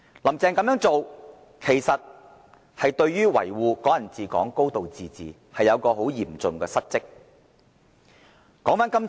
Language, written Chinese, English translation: Cantonese, "林鄭"這樣做，未盡維護"港人治港"、"高度自治"之責，是嚴重的失職。, Such a deed of Carrie LAM is actually a failure on her part to protect the principles of Hong Kong people ruling Hong Kong and a high degree of autonomy . This is a serious dereliction of duty